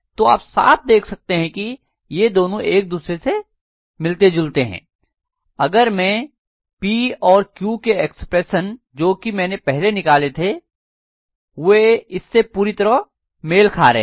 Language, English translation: Hindi, So you can see very clearly that these two are matching each other, if I look at P and Q expressions that I have got, they are exactly matching with this